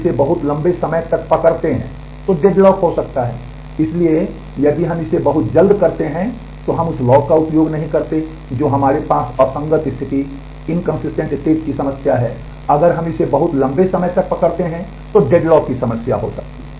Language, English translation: Hindi, So, if we do it too soon we do not use the lock that we have a problem of inconsistent state, if we do it hold it for too long then there could be problem of deadlock